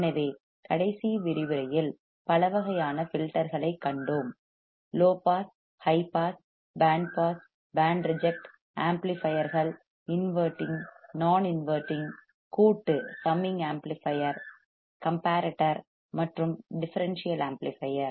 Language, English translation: Tamil, So, we have seen several types of filters right in the last lecture; right from low pass, high pass, band pass, band reject, amplifiers, inverting, non inverting, summing amplifier, comparator a differential amplifier